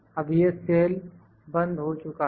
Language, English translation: Hindi, Now this cell is locked